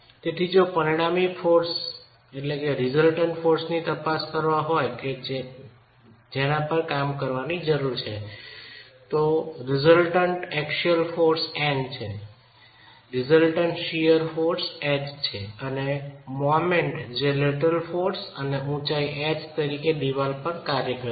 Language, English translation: Gujarati, So if you were to examine the resultant forces that we need to be working on, you have a resultant axial force in, you have a resultant shear force H and the moment which is acting on the wall because of the lateral force and the height of the wall H